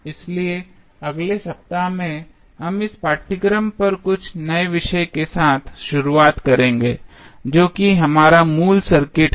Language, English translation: Hindi, So, in the next week, we will start with some new topic on the course that is our basic electrical circuit